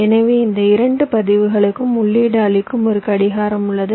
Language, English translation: Tamil, so there is a clock which is feeding both this registers